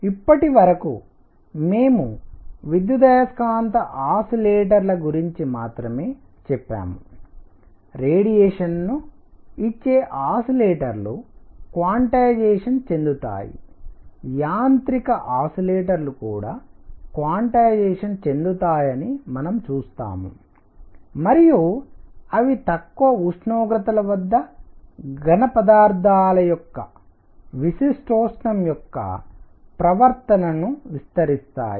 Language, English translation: Telugu, So, far we have said only electromagnetic oscillators, those oscillators that are giving out radiation are quantized, we will see that mechanical oscillators will also be quantized and they explain the behavior of specific heat of solids at low temperatures